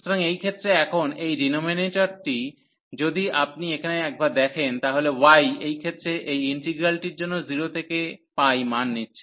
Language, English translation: Bengali, So, in this case now this denominator if you take a look here, so y in this case for this integral as taking 0 value at 2 the pi value